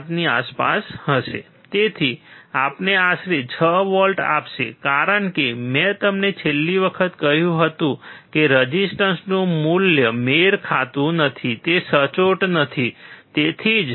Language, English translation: Gujarati, 5 so, it will give us approximately 6 volts, because I told you last time of the resistors mismatching the value of the resistors are not accurate, that is why